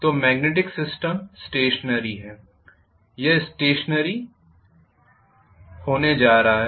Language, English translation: Hindi, So the magnetic field is stationary, this is going to be stationary